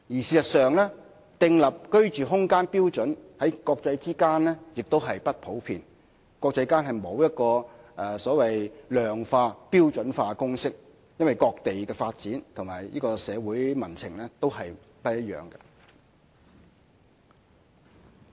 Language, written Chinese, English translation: Cantonese, 事實上，訂立居住空間標準的做法在國際間也不普遍，亦沒有所謂量化、標準化的公式，原因是各地的發展和社會民情不一樣。, As a matter of fact it is not a common practice in the international community to set the standard living space; neither are there the so - called formulas for quantification and standardization as different places have different levels of development and different social sentiments